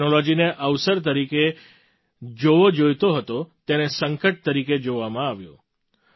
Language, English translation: Gujarati, The technology that should have been seen as an opportunity was seen as a crisis